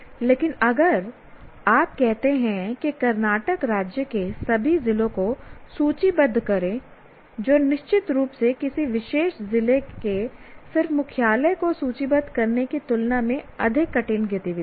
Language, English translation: Hindi, It would be easy to remember, but if you say list all the districts of Karnataka State, which is certainly more difficult activity than just listing or listing headquarters of a particular district